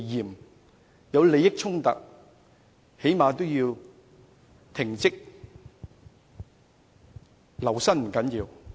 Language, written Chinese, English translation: Cantonese, 當有利益衝突時，他們起碼也應停職吧？, In the midst of conflicts of interests should these people be at least suspended from work?